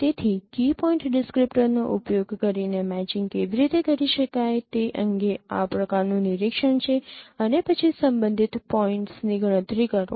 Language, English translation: Gujarati, So, this is the kind of no overview of how a matching could be performed using key point descriptors and then compute the corresponding points